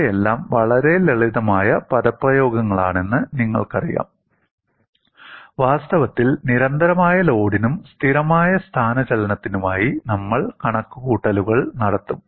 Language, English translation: Malayalam, These are all very simple expressions; in fact, we would go and do the calculations for constant load and constant displacement